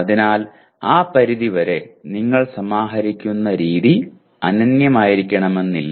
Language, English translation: Malayalam, So to that extent the way you aggregate is not necessarily unique